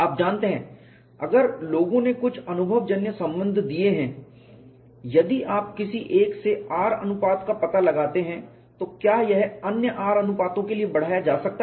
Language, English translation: Hindi, You know if people have given some empirical relation, if you find out from one R ratio whether it could be extrapolated for other r ratios